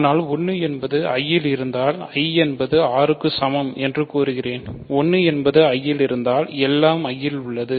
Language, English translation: Tamil, So, 1 is in I, but if 1 is in I; if 1 is in I then I claim I is equal to R right, if 1 is in I everything is in I